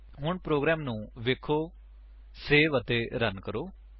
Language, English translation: Punjabi, So, now let us save and run the program